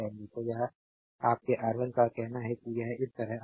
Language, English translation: Hindi, So, it is your R 1 say it will come like this